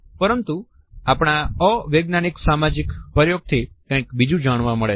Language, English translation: Gujarati, But our unscientific social experiment revealed something more